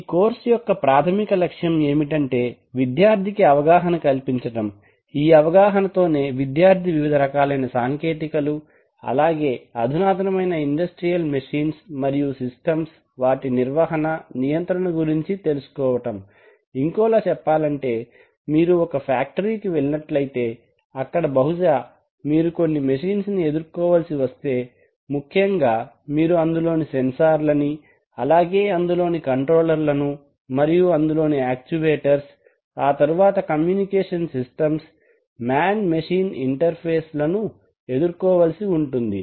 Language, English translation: Telugu, The basic objective of this course is to provide the student with an exposure, with an exposure to the technologies that enable operation and control of modern industrial machines and systems, in other words if you go to a factory you are very likely to encounter a set of machines for example you are very likely to encounter sensors, you are very likely to encounter controllers, you are very likely to encounter actuators, then communication systems, man machine interfaces